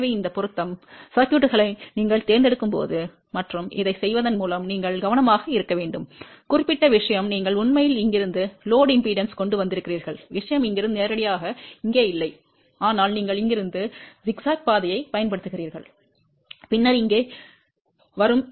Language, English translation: Tamil, So, you have to be careful when you are choosing these matching circuit and by doing this particular thing, you have actually brought the load impedance from here to this particular thing not directly from here to here, but you have use the zigzag path from here, then here and then coming over here